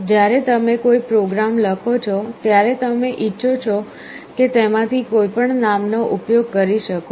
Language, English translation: Gujarati, When you write a program, you can use any of those names as you want